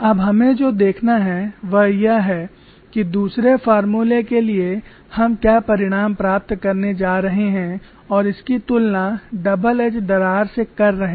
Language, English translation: Hindi, Now what we have to do is to get the results for other formula and compare it with the double edge crack